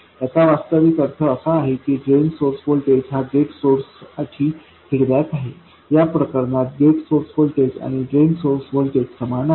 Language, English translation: Marathi, What it really means is that the Drain Source voltage is fed back to the gate source voltage, the gate source voltage equals the drain source voltage in this case